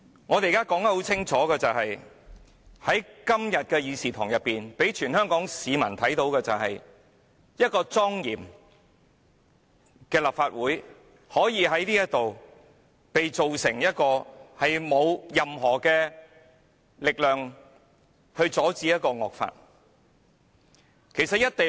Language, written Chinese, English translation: Cantonese, 我們現在清楚說出來：在今天的會議廳內，全香港市民看到的是，一個莊嚴的立法會可以被改造成沒有力量阻止惡法的議會。, Now let us state it clearly today in the Chamber all the people of Hong Kong can see that a most solemn Legislative Council can be transformed into one which has no power to stop a draconian law